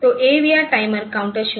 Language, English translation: Hindi, So, the AVR time are counted 0